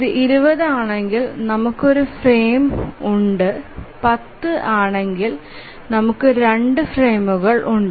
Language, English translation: Malayalam, So if it is 20 we have just one frame and if it is 10 we have just 2 frames